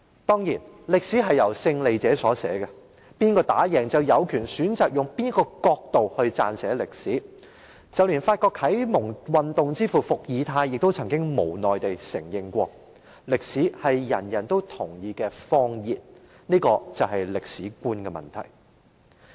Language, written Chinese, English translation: Cantonese, 當然，歷史是由勝利者所寫的，勝利者有權選擇以甚麼角度撰寫歷史，連法國啟蒙運動之父伏爾泰亦曾無奈承認，"歷史是人人都同意的謊言"，這便是歷史觀。, Of course history is written by the winner and the winner has the right to choose from what perspective history will be written . Even Voltaire the father of the French Enlightenment had to admit that History is the lie that everyone agrees on . This is a historical perspective